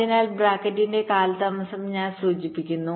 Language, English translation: Malayalam, i am also just indicating the delay in bracket